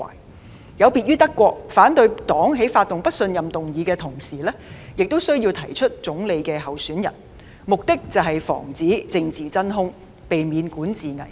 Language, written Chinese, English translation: Cantonese, 德國的情況略有不同，反對黨在發起不信任議案的同時，亦需要提出總理的候選人，目的是防止政治真空，避免管治危機。, The situation in Germany is somewhat different . While initiating a motion of no confidence the opposition parties also need to nominate a candidate for prime minister for the purpose of preventing a political vacuum and avoiding a crisis of governance